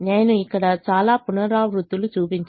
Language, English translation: Telugu, i have shown a lot of iterations here